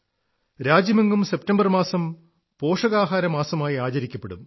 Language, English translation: Malayalam, The month of September will be observed as Nutrition Month in the entire nation